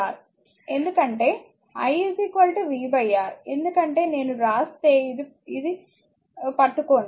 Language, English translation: Telugu, Because i is equal to v by R this one if I write for you, just hold on